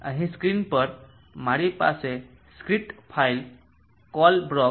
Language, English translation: Gujarati, So here on the screen I have ask a script file Colebrook